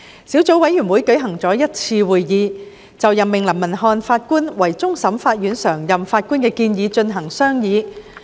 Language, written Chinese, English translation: Cantonese, 小組委員會舉行了一次會議，就任命林文瀚法官為終審法院常任法官的建議進行商議。, The Subcommittee held one meeting to discuss the proposal on the appointment of Mr Justice LAM as a permanent judge PJ of the Court of Final Appeal CFA